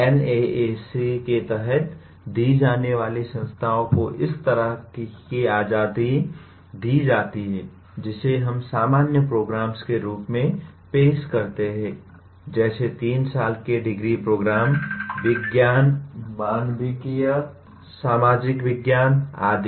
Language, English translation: Hindi, That is the kind of freedom given under NAAC for to institutions offering the, offering what we call as general programs, like a 3 year degree programs in sciences, humanities, social sciences and so on